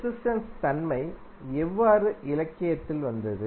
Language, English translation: Tamil, Now, how the resistance property came into the literature